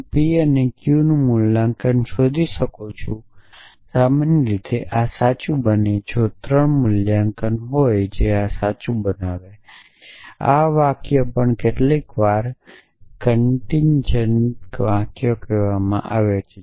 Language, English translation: Gujarati, I can find valuations of p and q usually make this true if there are 3 valuations which will make this true such sentences is also sometimes call contingent sentences